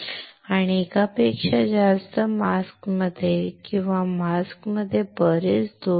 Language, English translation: Marathi, And within the multiple masks or within the mask there is lot of defects